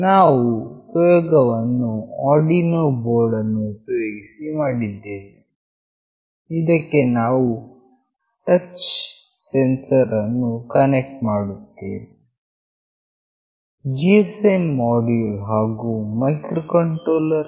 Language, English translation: Kannada, The experiment we have done using the Arduino board where we connect this touch sensor, the GSM module and the microcontroller